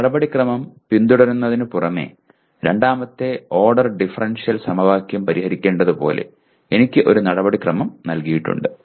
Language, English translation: Malayalam, It also includes besides following a procedure like I have to solve a second order differential equation, I am given a procedure